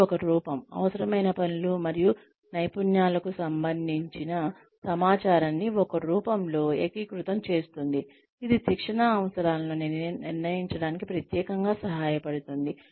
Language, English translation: Telugu, It is a form that, consolidates information, regarding required tasks and skills in a form, that is especially helpful for determining training requirements